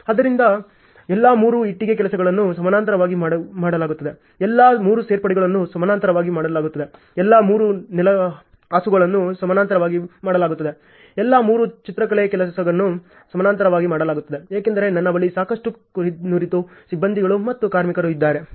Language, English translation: Kannada, So, what happens all the 3 brick work is done in parallel, all the 3 joinery are done in parallel, all the 3 flooring are done in parallel, all the 3 painting tasks are done in parallel because I have enough number of my skilled crews and workers ok